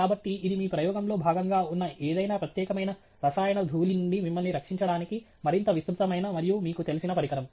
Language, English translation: Telugu, So, it is a much more elaborate and, you know, designed device to protect you from dust of any particular chemical that may be present as part of your experiment